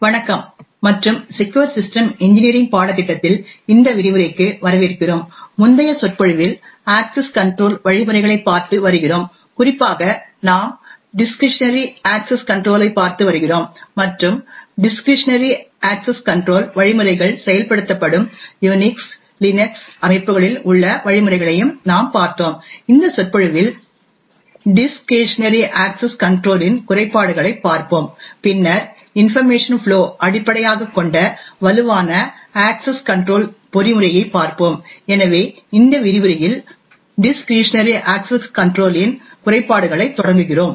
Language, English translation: Tamil, Hello and welcome to this lecture in the course for secure system engineering, in the previous lecture we have been looking at access control mechanisms in particular we have been looking at discretionary access control and we also looked at the mechanisms in Unix Linux systems where discretionary access control mechanisms are implemented, now there are certain drawbacks of discretionary access control mechanisms, in this lecture we will look at the drawback of discretionary access control and then look at a stronger access control mechanism which is based on information flow, so we start this lecture the drawbacks of discretionary access control